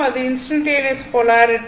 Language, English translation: Tamil, And it is instantaneous polarity